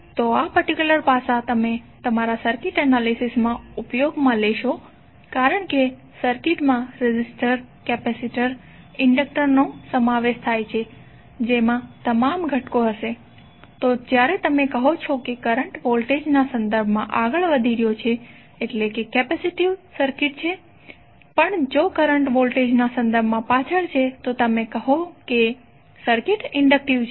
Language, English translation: Gujarati, So this particular aspect you will keep on using in your circuit analysis because the circuit will compose of resistor, capacitor, inductor all components would be there, so when you will say that current is leading with respect to voltage it means that the circuit is capacitive or even the current is lagging with respect to voltage you will say the circuit is inductive